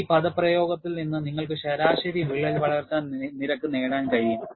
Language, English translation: Malayalam, From this expression, you would be able to get the average crack growth rate